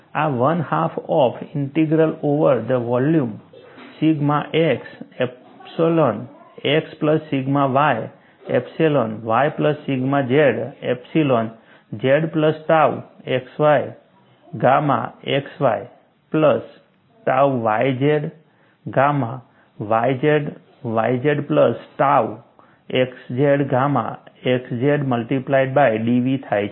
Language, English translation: Gujarati, This is one half of integral over the volume, sigma x epsilon x plus sigma y epsilon y plus sigma z epsilon z plus tau x y gamma x y plus tau y z gamma y z plus tau x z gamma x z multiplied by d V